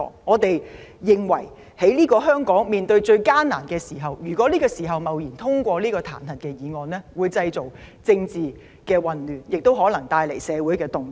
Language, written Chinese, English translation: Cantonese, 我們認為在當前香港最艱難的時刻，貿然通過這項彈劾議案會製造政治混亂，亦可能帶來社會動盪。, We earnestly hope it will make improvements . We think that invigilantly passing the impeachment motion at this difficult time of Hong Kong will bring about political chaos and probably cause social disturbances